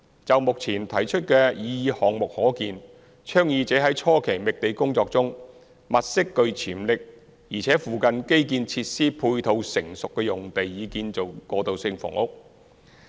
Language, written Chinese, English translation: Cantonese, 就目前提出的擬議項目可見，倡議者在初期覓地工作中，物色具潛力且附近基建設施配套成熟的用地以建造過渡性房屋。, As observed from the currently proposed projects at the initial stage of site identification the proponents would identify potential sites with mature infrastructural facilities in the vicinity for construction of transitional housing